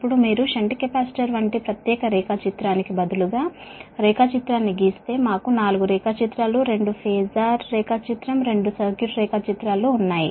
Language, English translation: Telugu, right now, if you draw the diagram, instead of separate diagram, like shunt capacitor, we had four diagrams, two phasor diagram, two circuit diagrams